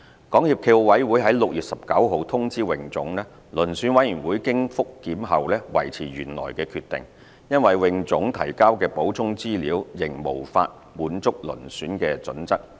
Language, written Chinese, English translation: Cantonese, 港協暨奧委會於6月19日通知泳總，遴選委員會經覆檢後維持原來決定，因為泳總提交的補充資料仍無法滿足遴選準則。, SFOC informed HKASA on 19 June that the Selection Committee maintained its original decision . This was because the supplementary information provided could not meet the selection criteria